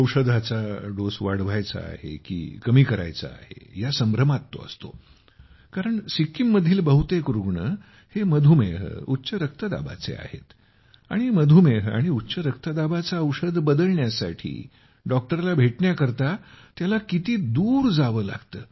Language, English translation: Marathi, He is confused whether his medicine has to be increased or decreased, because most of the patients in Sikkim are of diabetes and hypertension and how far he will have to go to find a doctor to change the medicine for diabetes and hypertension